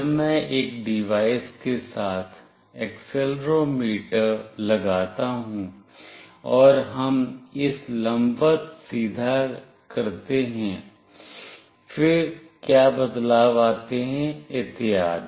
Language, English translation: Hindi, When I put accelerometer along with a device, and we make it vertically straight, then what changes happen, and so on